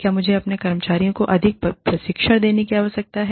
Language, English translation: Hindi, Do i need, to administer more training, to my staff